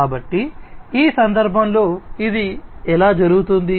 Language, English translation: Telugu, So, how it is done in this case